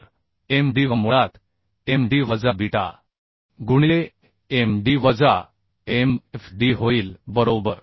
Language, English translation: Marathi, So Mdv will become basically Md minus beta into Md minus Mfd, right